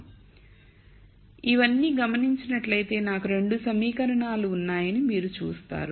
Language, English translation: Telugu, So, if you notice all of this, you see that I have 2 equations